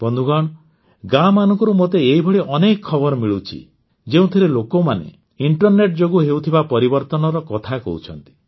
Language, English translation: Odia, Friends, I get many such messages from villages, which share with me the changes brought about by the internet